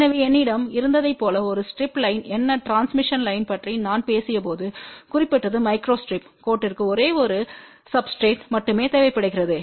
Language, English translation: Tamil, So, what is a strip line as I had mentioned when I talked about transmission line a micro strip line requires only one substrate